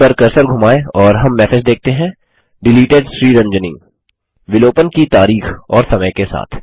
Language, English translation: Hindi, Hover the cursor over it and we see the message Deleted SriRanjani: followed by date and time of deletion